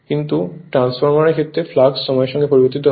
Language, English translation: Bengali, But in the case of transformer the flux was your time varying right